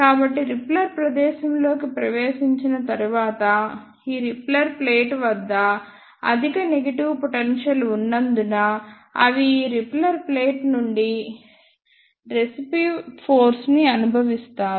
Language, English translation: Telugu, So, after entering into the repeller space, they feel repulsive force from this repeller plate because of the high negative potential at this repeller plate